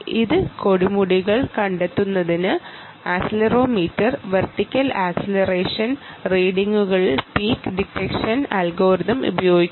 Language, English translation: Malayalam, peak detection algorithm is applied on vertical acceleration readings of accelerometer to detect this peaks